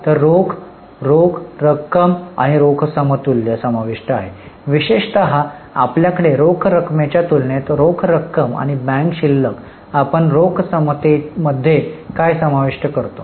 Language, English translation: Marathi, So cash includes cash plus cash equivalent, particularly in cash you are having cash and bank balances